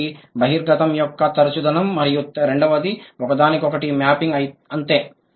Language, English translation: Telugu, One is frequency of exposure, the second one is one to one mapping, that's it